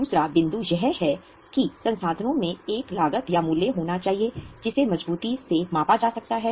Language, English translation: Hindi, The second point is resources must have a cost or value that can be measured reliably